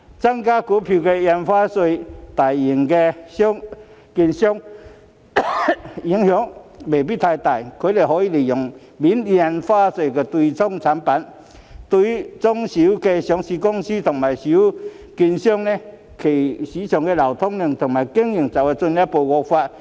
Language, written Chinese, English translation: Cantonese, 增加印花稅對大型券商的影響未必太大，因為他們可以利用免印花稅的對沖產品，但中小型上市公司和中小券商的市場流通量和經營則會進一步惡化。, While the increase in Stamp Duty may not have much impact on the large securities dealers as they can make use of hedging products that are free from Stamp Duty the market liquidity and operation of the small and medium listed companies and small and medium securities dealers will further deteriorate